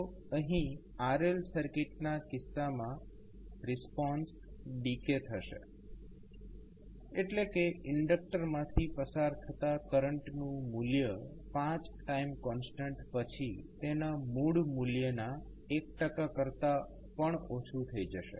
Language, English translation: Gujarati, So, here in case of RL circuit the response will decay that means the value of current that is flowing through the inductor, will reach to less than 1 percent of its original value, after 5 time constants